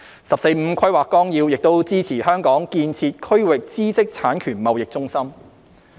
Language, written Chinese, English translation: Cantonese, 《十四五規劃綱要》亦支持香港建設區域知識產權貿易中心。, The 14th Five - Year Plan also supports Hong Kong to develop into a regional intellectual property IP trading centre